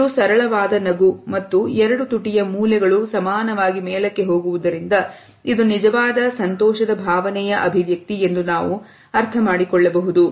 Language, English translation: Kannada, It is a simple smile and because the two lip corners go upwards symmetrically, it means that it is a genuine happiness